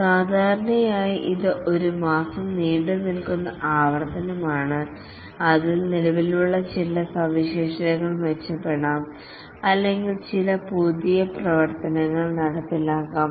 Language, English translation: Malayalam, Usually it's a month long iteration in which some existing features might get improved or some new functionality may be implemented